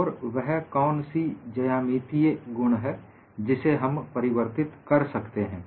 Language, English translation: Hindi, And what are the geometric properties that we can change